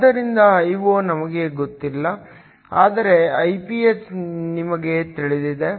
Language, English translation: Kannada, So, Io we do not know, but Iph we know